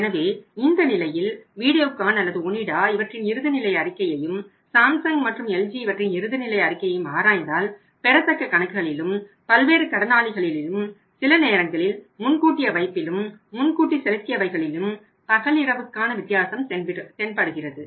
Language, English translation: Tamil, So, in some cases if you see analyse balance sheet of Videocon and or Onida and finalize balance sheet of Samsung and LG you find there is a day night difference in the accounts receivables, sundry debtors maybe sometime advance deposit also advance payments also